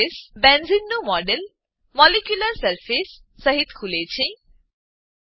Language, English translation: Gujarati, The model of Benzene is displayed with a molecular surface